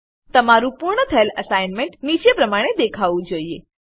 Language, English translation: Gujarati, Your completed assignment should look as follows